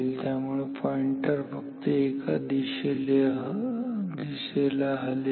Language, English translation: Marathi, So, therefore, the pointer can move to one side